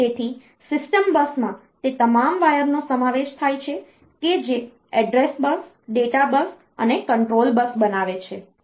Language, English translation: Gujarati, So, the system bus it is consisting of all those wires, which constitute the address bus, data bus and control bus